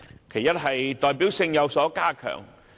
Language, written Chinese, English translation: Cantonese, 其一是代表性有所加強。, First their representativeness has been enhanced